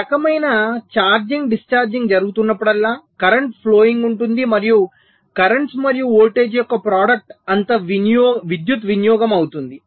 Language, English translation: Telugu, so whenever there is a this kind of charging, discharging going on, there will be a current flowing and the product of currents and voltage will be the power consumption